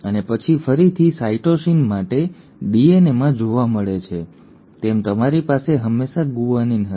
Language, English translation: Gujarati, And then again as seen in DNA for cytosine you will always have a guanine